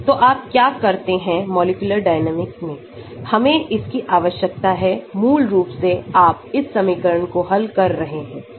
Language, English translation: Hindi, So, what you do in molecular dynamics, we need to, basically you are solving this equation